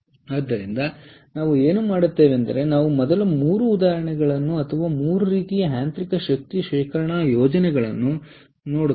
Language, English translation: Kannada, all right, so what we will do is we will first look at three examples, or three types of mechanical energy storage schemes